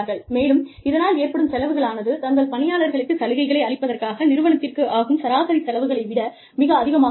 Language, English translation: Tamil, And, that ends up costing, a lot more than the average cost, of the company would have incurred, for giving benefits, to their employees